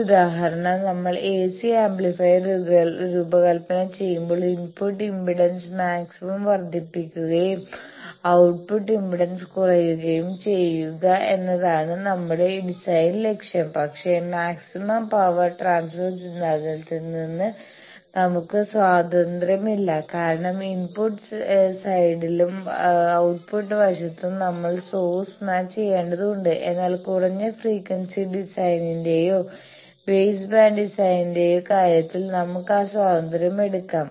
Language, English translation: Malayalam, One example, I will say that when we design AC amplifier, we try to say that our design goal is will have maximize the input impedance and minimize the output impedance, but from the power maximum power transfer theorem, we are not at liberty because what is the source we will have to match to that both in the input side and output side, but we can take that liberty in the case of the low frequency design or base band design